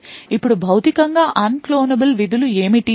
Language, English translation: Telugu, Now what are Physically Unclonable Functions